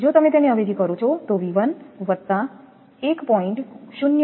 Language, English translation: Gujarati, If you substitute it will V 1 plus 1